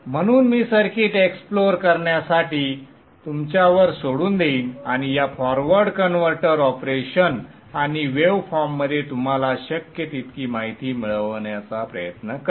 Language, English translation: Marathi, So I will leave it to you to explore the circuit and try to get as much insight as you can into this forward converter operation and the waveforms